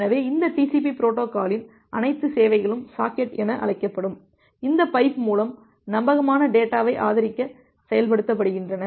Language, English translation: Tamil, So, all the services of this TCP protocol is implemented to support reliable data through this pipe which is termed as the socket